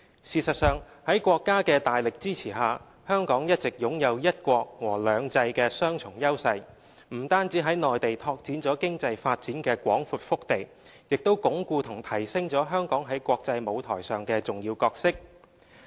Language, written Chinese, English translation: Cantonese, 事實上，在國家的大力支持下，香港一直擁有"一國"和"兩制"的雙重優勢，不僅在內地拓展了經濟發展的廣闊腹地，也鞏固和提升了香港在國際舞台上的重要角色。, In fact under the staunch support of the Country Hong Kong has been enjoying the dual advantages of one country and two systems . We have not only opened up the vast Mainland market as our economic hinterland but also consolidated and enhanced our important role in the international platform